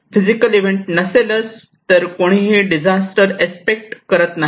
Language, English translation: Marathi, If this physical event is not there, nobody could expect a disaster